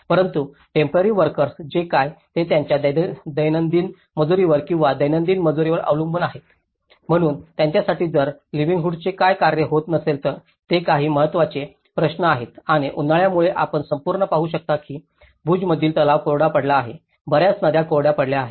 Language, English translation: Marathi, But what about the temporary workers, who are depending on their daily labor or daily wages, so for them if there is no work what happens to the livelihood, these are some of the important questions and due to the hot summers you can see the whole lake in Bhuj has been dried, many rivers have been dried out